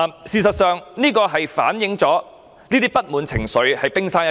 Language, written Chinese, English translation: Cantonese, 這只是反映出不滿情緒的冰山一角。, Their discontent is just a tip of the iceberg